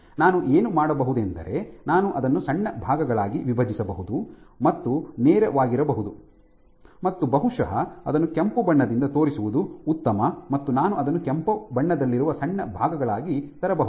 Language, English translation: Kannada, What I can do is I can break it into short segments, which are straight maybe it is better to show it with red I can bring it into short segments which are red